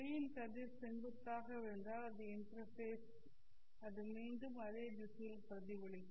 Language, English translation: Tamil, If a ray of light falls perpendicularly, I mean normally to the interface it will be reflected back in the same direction